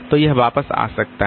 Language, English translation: Hindi, So, it can back